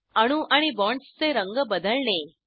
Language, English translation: Marathi, Change the color of atoms and bonds